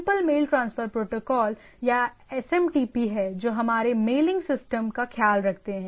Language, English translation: Hindi, There are simple mail transfer protocols or SMTP which takes care of our mailing system